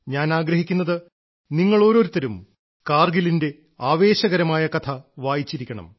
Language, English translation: Malayalam, I wish you read the enthralling saga of Kargil…let us all bow to the bravehearts of Kargil